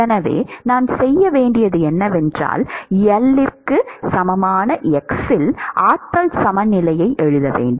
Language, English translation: Tamil, So, what I need to do is, I need to write an energy balance at x equal to L